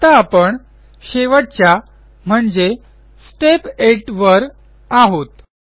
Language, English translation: Marathi, Now we are in Step 8 the final step